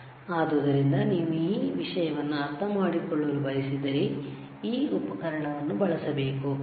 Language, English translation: Kannada, So, if you want to understand this thing, you have to use this equipment